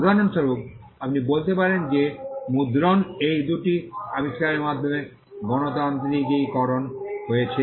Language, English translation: Bengali, For instance, you can say that printing got democratized with these two inventions